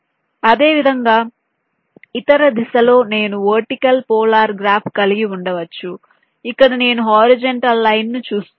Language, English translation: Telugu, similarly, in the other direction, i can have a vertical polar graph where i look at the horizontal lines